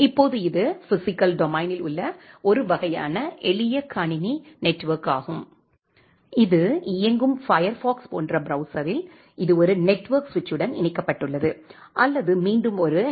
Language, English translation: Tamil, Now, this is a kind of simple computer network in the physical domain you have one host which is running say a browser like Firefox, it is connected to a network switch or a router that is again connected to a HTTP server